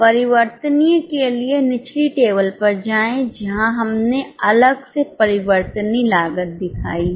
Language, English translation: Hindi, For variable, go to the lower table where we have separately shown the variable cost